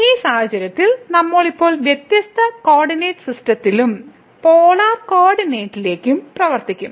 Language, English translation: Malayalam, So, in this case we are will be now working on different coordinate system and in polar coordinate